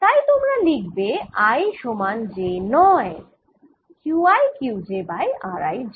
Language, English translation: Bengali, so in i, not t, equal to j, q i q j over r i j